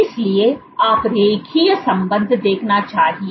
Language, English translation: Hindi, So, you should see a linear relationship